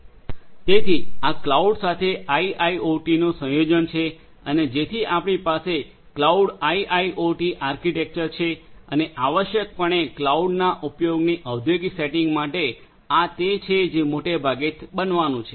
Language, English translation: Gujarati, So, this is a combination of IIoT with cloud and so we have a cloud IIoT architecture and essentially for industrial settings of use of cloud this is what is grossly it is going to happen